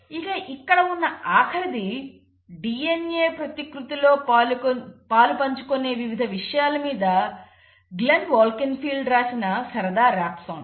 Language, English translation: Telugu, And the last is a fun rap song again by Glenn Wolkenfeld which will just help you kind of quickly grasp the various quick players of DNA replication